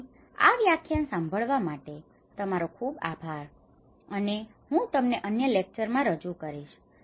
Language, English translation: Gujarati, So thank you very much for listening this lecture and I will introduce to you in other lectures